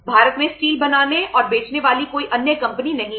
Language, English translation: Hindi, There are no other company can manufacture and sell steel in India